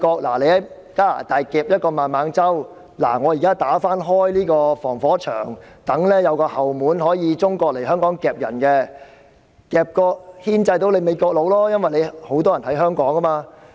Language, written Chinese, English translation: Cantonese, 美國在加拿大捉拿了孟晚舟，現在他們便要打開一道防火牆，讓中國有後門可以來香港捉人，以牽制美國，因為香港有很多美國人。, As the United States arrested MENG Wanzhou in Canada they now have to break the firewall to create a back door for China to arrest people in Hong Kong which is aimed at pinning down the United States as there are a great number of Americans in Hong Kong